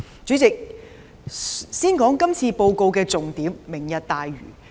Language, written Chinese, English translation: Cantonese, 主席，先談談今次施政報告的重點——"明日大嶼"。, President let me first talk about the key issue of this Policy Address―Lantau Tomorrow